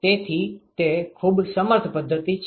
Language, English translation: Gujarati, So, that is a very powerful method